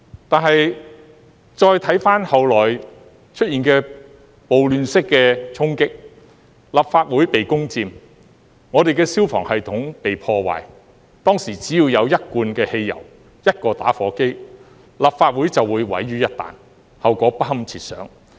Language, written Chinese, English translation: Cantonese, 但是，再回看後來出現的暴亂式的衝擊，立法會被攻佔，我們的消防系統被破壞，當時只要有一罐汽油，一個打火機，立法會便會毀於一旦，後果不堪設想。, However judging from the subsequent riot - like storming of the Legislative Council the way this Council was taken over and the fire system sabotaged I realize this Council could have been destroyed with a can of gasoline and a lighter . The consequences would be unimaginable